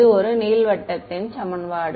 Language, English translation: Tamil, It is an equation of an ellipsoid